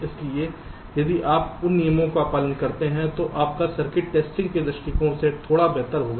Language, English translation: Hindi, so if you follow those rules, then your circuit will be a little better from the testing point of view